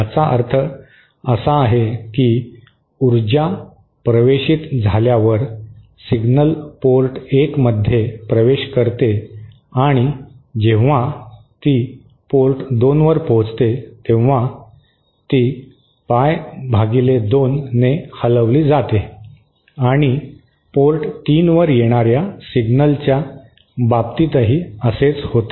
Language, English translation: Marathi, That means anytime power enters, signal enters port 1 by the time it reaches port 2, it is phase shifted by pie by 2 and same is the case for signal appearing at port 3